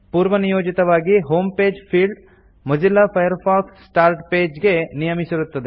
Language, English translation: Kannada, By default, the Home page field is set to Mozilla Firefox Start Page